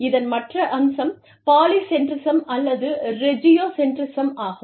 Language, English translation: Tamil, The other aspect, of this is, Polycentrism or Regiocentrism